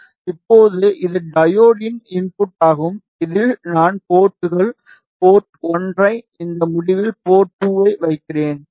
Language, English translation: Tamil, Now, this is the input of the diode this is the output I will place ports, port 1 at this end port 2 at this end